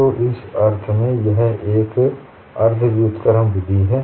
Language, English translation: Hindi, So, in that sense, it is a semi inverse method